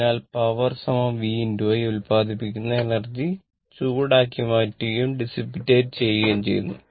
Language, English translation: Malayalam, So, this is the power v into i and energy produced is converted into heat and dissipated right